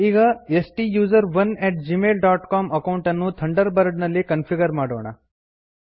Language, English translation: Kannada, Lets configure the STUSERONE at gmail dot com account in Thunderbird